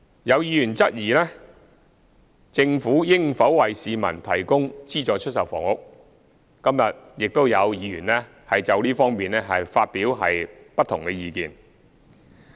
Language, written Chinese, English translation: Cantonese, 有議員質疑政府應否為市民提供資助出售房屋，今天亦有議員就這方面發表不同的意見。, Some Members have queried whether the Government should provide subsidized sale flats to the public and some Members have expressed their differing views in this connection today